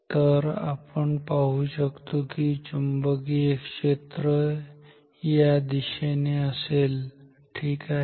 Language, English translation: Marathi, So, we will see that the magnetic field is in this direction ok